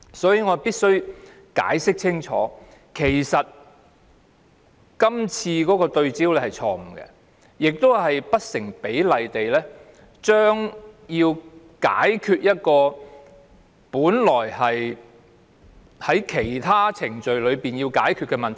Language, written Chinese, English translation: Cantonese, 所以，我必須清楚解釋，這項修正案焦點錯誤，以期透過司法程序處理本來應透過其他程序解決的問題。, I must explain clearly that the focus of this amendment is to solve through judicial process problems that should be solved by other means . It is wrong to do so